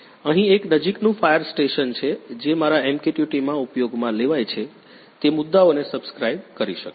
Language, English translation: Gujarati, Here is a nearest fire station which can subscribe the topics through which are used in a my MQTT